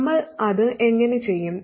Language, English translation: Malayalam, How do we do that